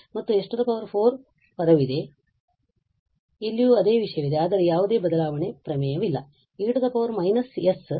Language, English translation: Kannada, And there is a s 4 term, here also the same thing but there is a no shifting theorem no e power minus s